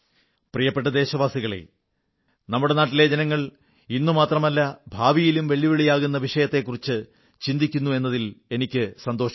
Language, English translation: Malayalam, My dear countrymen, I am happy that the people of our country are thinking about issues, which are posing a challenge not only at the present but also the future